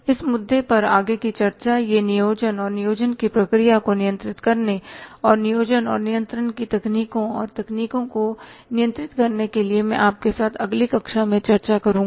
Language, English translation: Hindi, The further discussion on this issue that is the planning and controlling the process of planning and controlling tools and techniques of planning and controlling I will discuss with you in the next class